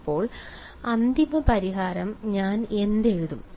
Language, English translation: Malayalam, So, what will I write the final solution